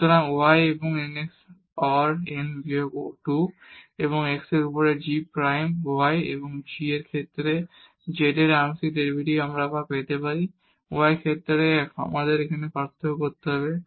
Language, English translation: Bengali, So, y and n x power n minus 2 and the g prime y over x and the partial derivative of z with respect to y we can get again we have to differentiate now with respect to y